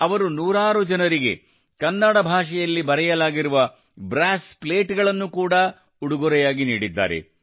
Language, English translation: Kannada, He has also presented brass plates written in Kannada to hundreds of people